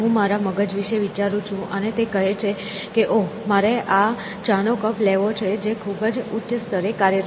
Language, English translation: Gujarati, I tend to think of my brain and say, oh, I want to have this cup of tea which is operating at a very higher level essentially